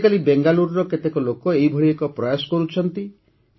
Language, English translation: Odia, Nowadays, many people are making such an effort in Bengaluru